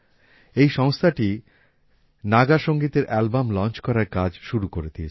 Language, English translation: Bengali, This organization has started the work of launching Naga Music Albums